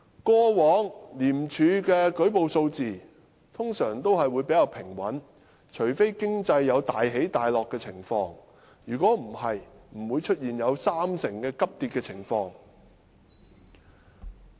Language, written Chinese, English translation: Cantonese, 過往廉署的舉報數字通常比較平穩，除非經濟有大起大落的情況，否則不會出現有三成急跌的情況。, In the past the number of reports lodged with ICAC was generally quite stable . Except in times of dramatic fluctuations in the economy a drastic drop of 30 % was hardly seen